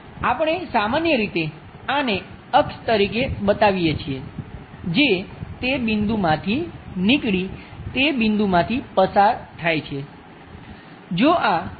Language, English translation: Gujarati, We usually show this center of axis that is passing from that point comes from that point